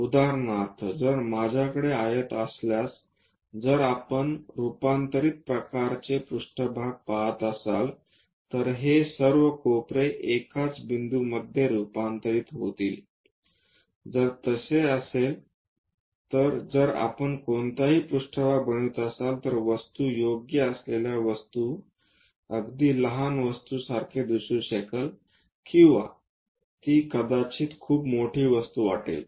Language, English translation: Marathi, For example, if I have a rectangle, if we are looking at converging kind of planes, all these corners will be converged to a single point, if so, then if we are making any plane the object may look a very small object with proper scaling or it might look very large object